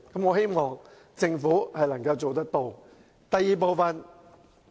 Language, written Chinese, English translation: Cantonese, 我希望政府能夠做到。, I hope the Government can make this happen